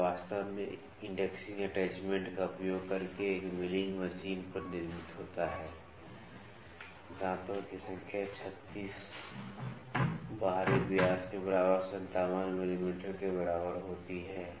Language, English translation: Hindi, It is it is actually manufactured on a milling machine using the indexing attachment, the number teeth is equal to 36 outer dia is equal to 57 mm